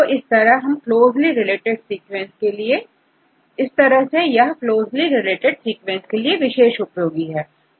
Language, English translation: Hindi, So, is useful for the closely related sequences